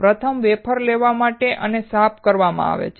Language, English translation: Gujarati, Firstly, the wafer is taken and cleaned